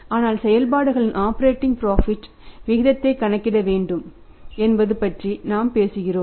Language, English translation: Tamil, But we are talking about the operating profit ratio should have to calculate the profit from operations